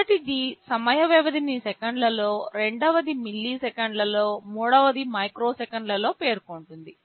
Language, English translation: Telugu, The first one specifies the time period in seconds, second one specifies in milliseconds, third one in microseconds